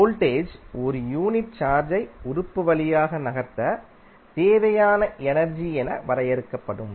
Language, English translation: Tamil, Voltage will be defined as the energy required to move unit charge through an element